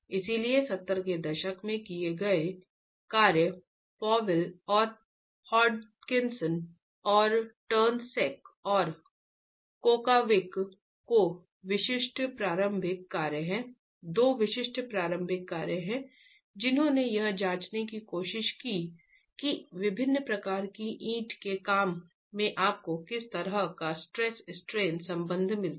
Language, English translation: Hindi, So, work carried out in the 70s, Powell and Hod Hutchinson and turn second Kakowich are two typical initial works that try to examine what sort of a stress strain relationship do you get in different types of brickwork